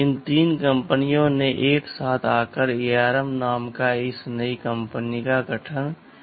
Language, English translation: Hindi, These threeis 3 companies came together and formed this new company called ARM